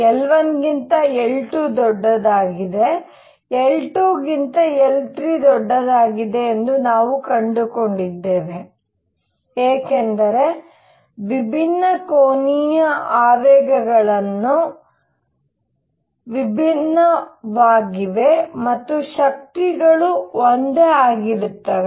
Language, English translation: Kannada, We found that L 1 is greater than L 2 is greater than L 3, because the different angular momentums are different